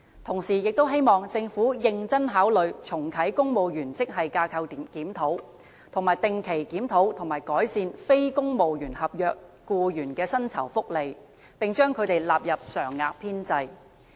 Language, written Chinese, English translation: Cantonese, 同時，也希望政府認真考慮重啟公務員職系架構檢討、定期檢討和改善非公務員合約僱員的薪酬福利，並將他們納入常額編制。, I also hope that the Government can consider initiating another grade structure review of the Civil Service and regularly review and improve the remuneration package of non - civil service contract staff and include them into the permanent establishment